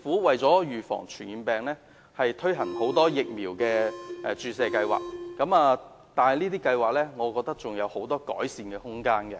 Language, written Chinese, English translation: Cantonese, 為了預防傳染病，政府推行了很多疫苗注射計劃，但我認為這些計劃還有很多改善的空間。, In order to prevent infectious diseases the Government has launched a number of vaccination programmes . But I think there is still room for improvement